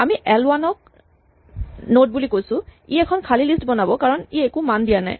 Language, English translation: Assamese, We say l1 is equal to node; this creates an empty list because it is not provided any value